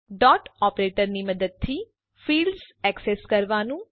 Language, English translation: Gujarati, Accessing the fields using dot operator